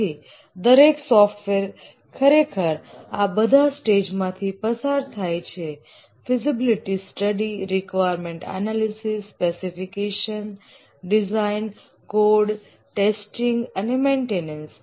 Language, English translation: Gujarati, So these are the stages that intuitively every software undergoes the feasibility study, requirements analysis and specification, design, coding, testing and maintenance